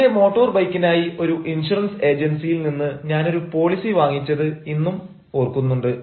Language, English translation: Malayalam, i do remember when i buy a policy from one insurance agency for my motorbike